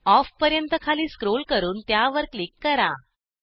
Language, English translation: Marathi, scroll down to Off and click on it